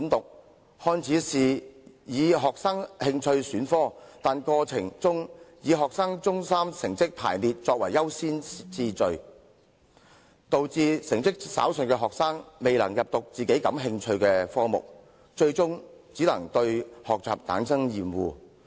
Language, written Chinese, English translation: Cantonese, 這個改革看似容許學生根據興趣選科，卻以學生中三成績排名訂優先次序，以致成績稍遜的學生未能修讀感興趣的科目，最終只會對學習生厭。, On the face of it this reform allows students to elect subjects according to their interest but priorities are accorded in the light of the results and rankings of Secondary Three students . As a result low achievers are unable to study the subjects in which they are interested . In the end these students will only become tired of learning